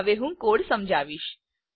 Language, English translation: Gujarati, I shall now explain the code